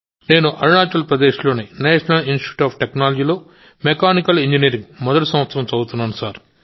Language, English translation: Telugu, I am studying in the first year of Mechanical Engineering at the National Institute of Technology, Arunachal Pradesh